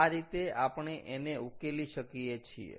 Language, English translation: Gujarati, so this is how we have solved it